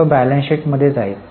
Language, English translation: Marathi, Will it go in balance sheet